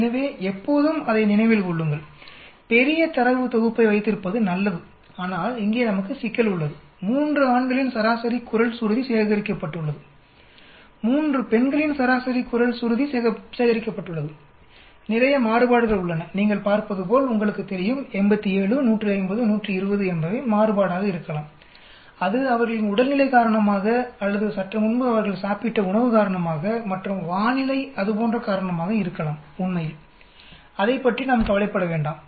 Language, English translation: Tamil, So always remember that it is better to have large a data set but we have problem here, the average voice pitch of 3 male is collected and the average voice pitch of 3 female are collected, there is lot of variation as you can see, you know 87, 150, 120 could be variation because of their health condition or because of the food that they had consumed slightly before and weather condition and so on actually, let us not bother about it